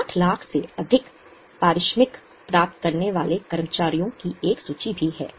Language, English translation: Hindi, There is also a list of employees receiving remuneration more than 60 lakhs